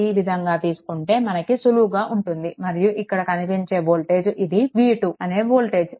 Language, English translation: Telugu, So, take take like this, then things will be easier for a right and these voltage these voltage is v 2, right